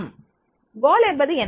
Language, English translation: Tamil, What is the goal